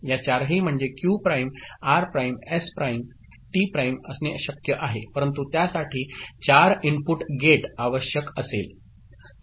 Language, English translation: Marathi, It is possible to have all these four that means, Q prime R prime S prime T prime right, but that will require a 4 input gate